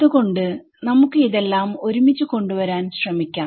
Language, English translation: Malayalam, So, let us try to put it together